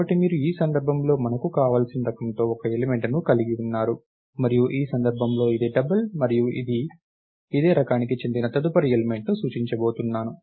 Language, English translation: Telugu, So, you are having one element of the type whatever we want in this case its double and we are going to point to the next element which is of the same type and so, on